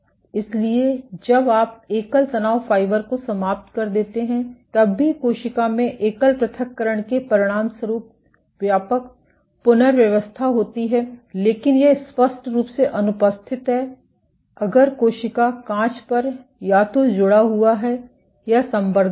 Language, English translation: Hindi, So, when you even if you ablate a single stress fiber, there is global rearrangement in the cell as a consequence of the single ablation, but this is markedly absent, if the cell was connected in a or cultured on a glass substrate